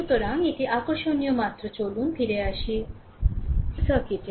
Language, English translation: Bengali, So, this is interesting just go go let us go back to the circuit, right